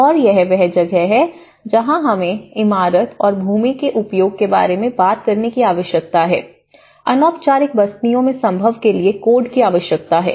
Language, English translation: Hindi, And this is where we need to talk about the tailoring and the building and land use, codes to the feasible in informal settlements